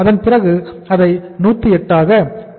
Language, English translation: Tamil, Then we take it here as the 108 that is 10